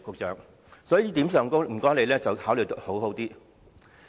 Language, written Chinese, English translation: Cantonese, 在這一點上，局長請你好好考慮。, In this regard may the Secretary please give it due consideration